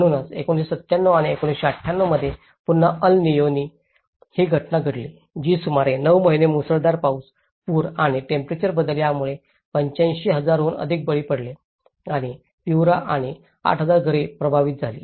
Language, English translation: Marathi, So, again in 1997 and 1998, there is El Nino phenomenon which about 9 months with heavy rain, floods and changes in temperature that has resulted more than 85,000 victims and Piura and 8,000 homes were affected